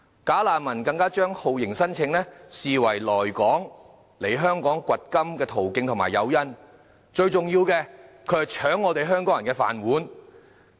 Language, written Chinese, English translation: Cantonese, "假難民"更將酷刑聲請視為來港"掘金"的途徑及誘因，最重要的是，他們搶香港人"飯碗"。, Bogus refugees even take torture claims as the channel and incentive for gold digging in Hong Kong but the most important point is that they are fighting for employment opportunities with Hong Kong people